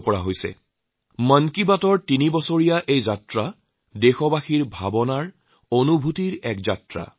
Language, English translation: Assamese, And, this is why the threeyear journey of Mann Ki Baat is in fact a journey of our countrymen, their emotions and their feelings